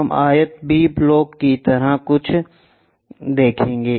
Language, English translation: Hindi, We will see something like a rectangle B block